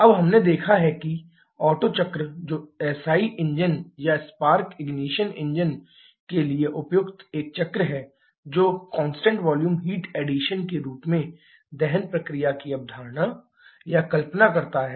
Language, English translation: Hindi, Now, we have seen that the Otto cycle which is a cycle suitable for SI engines or Spark ignition engines that conceptualizes or visualises the combustion process in the form of constant volume heat addition